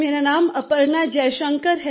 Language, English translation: Hindi, My name is Aparna Jaishankar